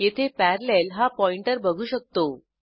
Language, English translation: Marathi, We can see here pointer parallel